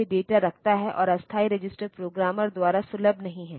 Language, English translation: Hindi, And this temporary register is not accessible by the programmer